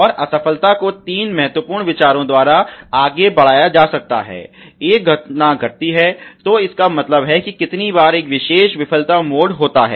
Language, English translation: Hindi, And the failure can further be characterize by three important thinks; one is the occurrence; that means, how often a particular failure mode occurs